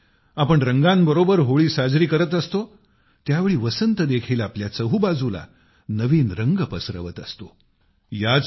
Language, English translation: Marathi, When we are celebrating Holi with colors, at the same time, even spring spreads new colours all around us